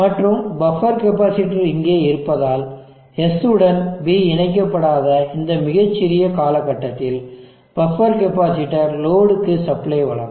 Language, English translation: Tamil, And because of this present of this buffer capacitor, during this very small duration when S is not connected to B the buffer capacitor will supply to load